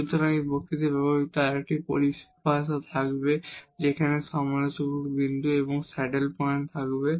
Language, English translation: Bengali, So, there will be another terminology used for used in this lecture there will be critical point and the saddle points